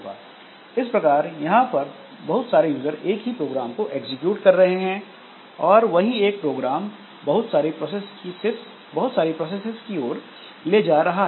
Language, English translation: Hindi, So, that way we can have multiple users executing the same program and one program can lead to several processes